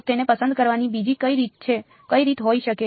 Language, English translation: Gujarati, So, what might be another way of picking it